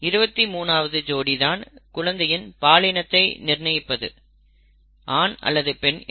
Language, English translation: Tamil, The 23rd pair, XY if you recall, determines the sex of the child, okay, whether it is a male or a female